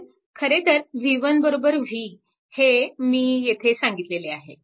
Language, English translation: Marathi, So, v 1 actually v 1 actually is equal to v